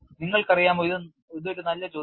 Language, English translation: Malayalam, You know it is a good question